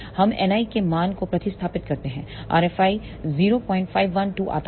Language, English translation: Hindi, We substitute the value of N i, r F i comes out to be 0